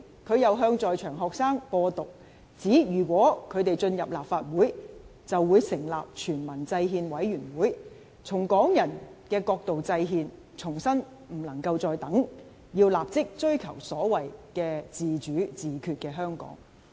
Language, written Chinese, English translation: Cantonese, 他又向在場學生"播獨"，指如果他們進入立法會，便會成立全民制憲委員會，從港人的角度制憲，重申不能再等，要立即追求所謂自主自決的香港。, He also spread independenism to students there stating that if they enter the Legislative Council they would set up a Peoples Constitutional Committee and devise a constitution from Hong Kong peoples perspective reiterating that this could brook no delay and that a Hong Kong with so - called self - determination and autonomy needed to be pursued immediately